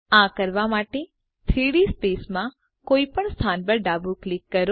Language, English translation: Gujarati, To do this, left click at any location in the 3D space